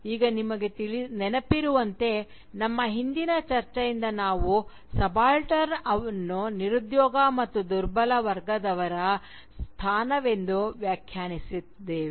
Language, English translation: Kannada, Now, as you will remember, from our previous discussion, we had defined subaltern as a position of disempowerment and marginalisation